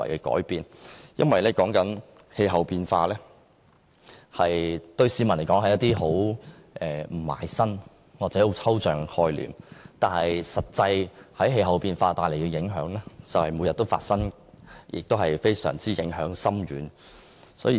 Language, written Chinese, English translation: Cantonese, 對市民而言，氣候變化是毫不切身或抽象的概念，但氣候變化其實每天都產生實際影響，而且影響非常深遠。, To the public climate change is a remote or abstract concept but it actually affects us every day and has profound impact